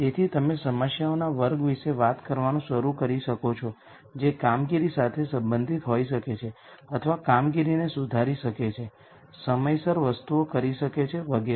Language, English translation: Gujarati, So, you could start talking about a class of problems which could be either performance related or improving the operations, doing things on time and so on